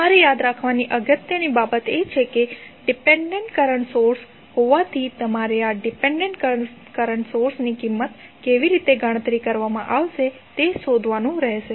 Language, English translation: Gujarati, The important thing which you have to remember is that since it is dependent current source you have to find out how the value of this dependent current source would be calculated